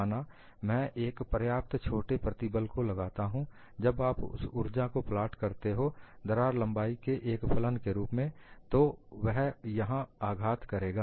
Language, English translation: Hindi, Suppose, I apply a stress which is sufficiently small when you plot that energy as a function of the crack length, it would only hit here